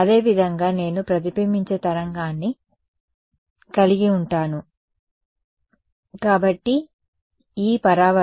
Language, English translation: Telugu, Similarly, I will have the reflected wave ok, so E reflected ok, so this is going to be